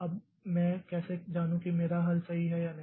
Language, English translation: Hindi, Now, how do I judge whether my solution is correct or not